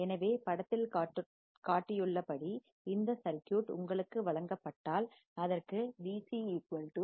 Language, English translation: Tamil, So, if you are given this circuit as shown in the figure, it has V c equal to minus 1